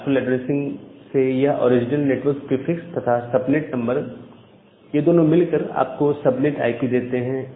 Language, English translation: Hindi, So, this original network prefix from classful addressing and a subnet number that together gives you the subnet IP